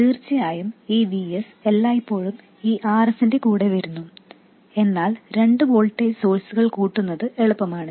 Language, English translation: Malayalam, Of course, this VS always comes with this RS, but adding to voltage sources is easy in principle